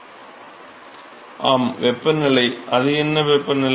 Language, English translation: Tamil, Yeah temperature, what temperature